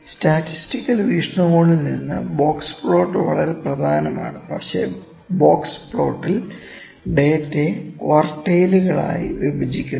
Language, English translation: Malayalam, From statistical viewpoint box plot is very important, but in box plot we divide the data into quartiles